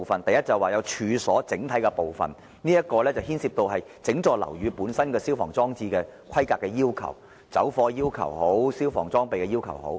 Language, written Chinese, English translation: Cantonese, 第一是處所的整體部分。這涉及整幢樓宇的消防裝置的規格要求——不論是走火要求，還是消防裝備的要求。, Part one concerns the premises as a whole setting out the specifications of fire services installations for the whole building including fire escapes and fire services equipment